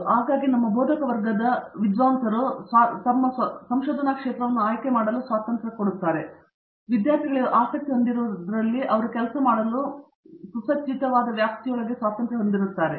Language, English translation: Kannada, S So very often our faculty allows the scholar the freedom to choose their own area of research, within the boundaries of what they are interested in and what they are equipped to work in